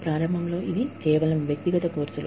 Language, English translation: Telugu, Initially, it was just, individual courses